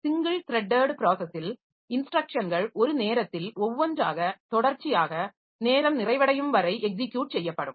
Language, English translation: Tamil, For a single threaded process, instructions are executed sequentially one at a time until completion